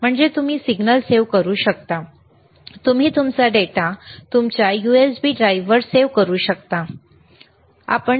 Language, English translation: Marathi, This capturing of signal you can save using your USB drive, you are USB port, right